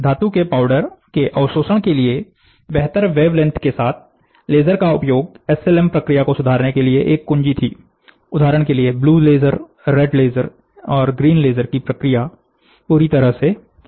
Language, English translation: Hindi, The use of laser with wavelength better tuned to the absorptivity of the metal powders, was one key for enhancing SLM process, for example, there is a red laser, green laser, blue laser, the response of the red laser, blue laser and green laser are completely different